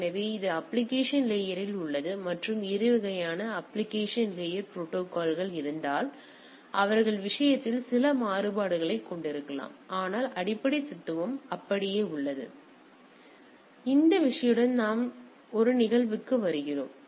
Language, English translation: Tamil, So, this is at the application layer and if there are different other type of application layer protocols; they may have some variant of the thing, but the basic philosophy remains the same